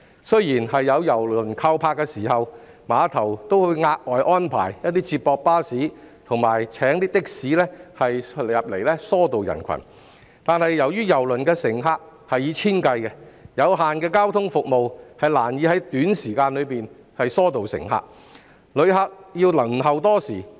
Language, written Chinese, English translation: Cantonese, 雖然有郵輪靠泊時，碼頭會額外安排接駁巴士及的士疏導人群，但由於郵輪的乘客數以千計，有限的交通服務難以在短時間內疏導乘客，旅客還是需要輪候多時。, Whilst the operator of KTCT will arrange additional shuttle buses and taxis to disperse the crowd during ship call days the limited transport services can hardly disperse the passengers in a short time since a cruise ship carries thousands of passengers on board and the passengers still have to wait for a long time